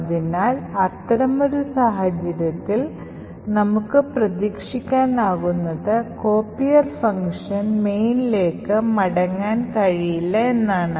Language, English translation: Malayalam, So, in such a case what we can expect is that the copier function will not be able to return back to main